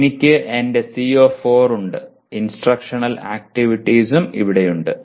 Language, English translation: Malayalam, I have my CO4 and instructional activities are also in this here